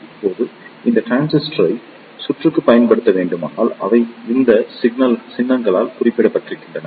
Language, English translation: Tamil, Now, if these transistors is to be used in circuit, they are represented by these symbols